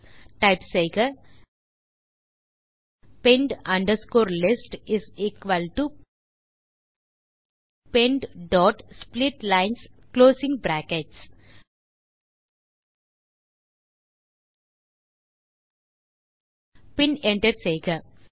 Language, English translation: Tamil, So type pend underscore list is equal to pend dot split lines closing brackets and hit Enter